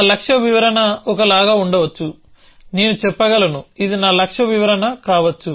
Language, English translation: Telugu, My goal description could simply be something like a, I could say on, this could be my goal description